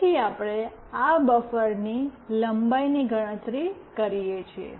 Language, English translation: Gujarati, Then we calculate the length of this buffer